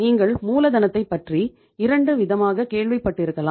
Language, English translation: Tamil, You might have heard about the working capital in 2 ways